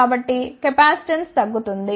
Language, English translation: Telugu, So, the capacitance will decrease